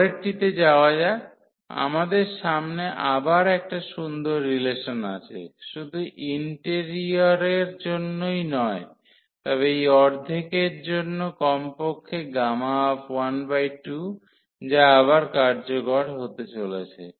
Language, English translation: Bengali, Now, moving next we have another nice of relation not only for the interior, but also for this half at least gamma half which is going to be again useful